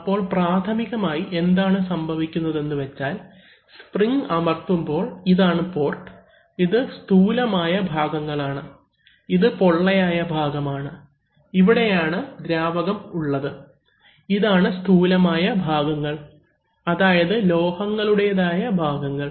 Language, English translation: Malayalam, So, initially, normally what is happening is that this spring is pressing, so this is, so this port is, these are actually solid parts, this is not that, you know this is the hollow part where the fluid exists, these are solid parts, metallic part